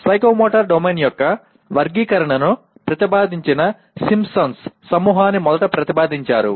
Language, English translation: Telugu, Now Simpson who first proposed the Simpson’s group that proposed the taxonomy of psychomotor domain, they gave seven subcategories